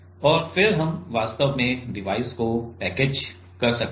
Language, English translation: Hindi, And then we can we will actually package the device